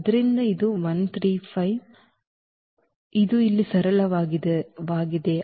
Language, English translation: Kannada, So, this 1 3 5 and this is simple here